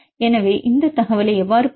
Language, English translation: Tamil, So, how to get this information